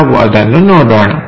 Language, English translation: Kannada, Let us look at that